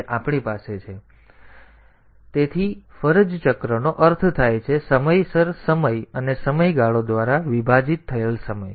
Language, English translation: Gujarati, Now, in this time period, so duty cycle means the on time the on time divided by time period